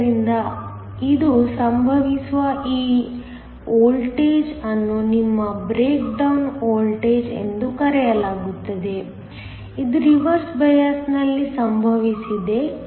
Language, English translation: Kannada, So, this voltage where this happens is called your break down voltage this happens in reverse bias